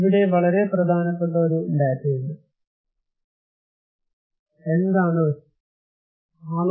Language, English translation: Malayalam, Here is a very important data, then what is risk